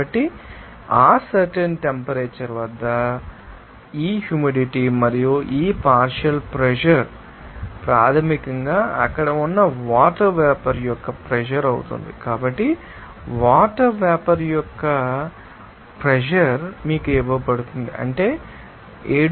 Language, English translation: Telugu, So, this is you know that humidity at that particular temperature and what is the saturation humidity that is also know that this partial pressure basically will be you know vapor pressure of the water vapor there so, vapor pressure of the water vapor is given to you that is you know that 7